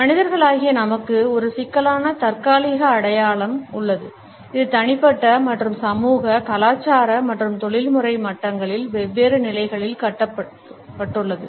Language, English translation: Tamil, As human beings we have a complex temporal identity, which is constructed at different levels at personal as well as social, cultural and professional levels